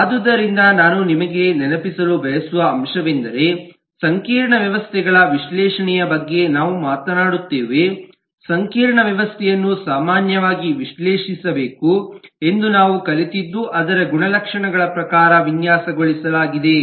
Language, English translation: Kannada, so the point that i would like to remind you about that, when we talked about the analysis of complex systems, we learnt that a complex system should typically be analyzed, to be designed in terms of its attributes